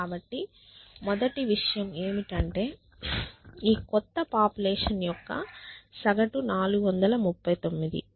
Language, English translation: Telugu, So, the first thing is that average for this new population is 439